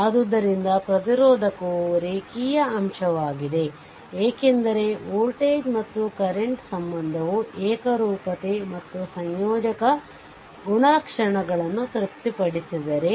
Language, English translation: Kannada, So, therefore, we can say that the resistor is a linear element, because if voltage current relationship satisfied both homogeneity and additivity properties right